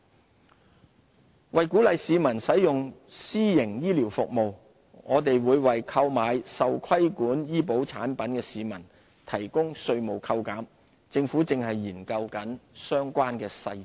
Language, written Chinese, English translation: Cantonese, 自願醫保計劃為鼓勵市民使用私營醫療服務，我們會為購買受規管醫保產品的市民提供稅務扣減，政府正研究相關細節。, To encourage the use of private health care services by the public we will provide tax deduction for the purchase of regulated health insurance products details of which are being examined by the Government